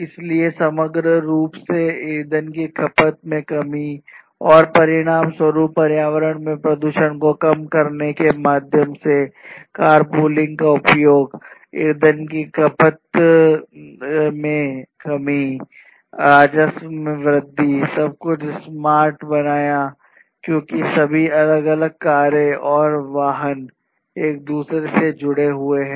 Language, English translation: Hindi, So, and also the reduction in fuel consumption overall and also consequently reducing the pollution in the environment through the use of car pooling, basically you know reduction in fuel consumption, increase in revenue, making everything very you know smart in the sense that you know you have all of these different cars and vehicles connected to each other